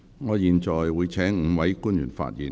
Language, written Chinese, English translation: Cantonese, 我現在會請5位官員發言。, I will invite the five public officers to speak